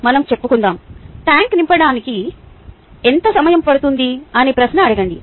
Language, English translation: Telugu, let us say: lets ask the question: how long would it take t to fill the tank